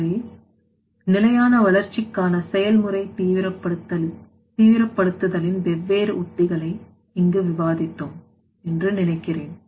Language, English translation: Tamil, So, I think we have discussed here in this lecture that different strategies of the you know that process intensification for the sustainable development